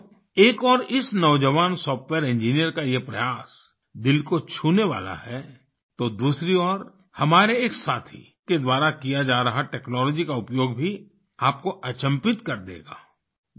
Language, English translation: Hindi, Friends, on the one hand this effort of a young software engineer touches our hearts; on the other the use of technology by one of our friends will amaze us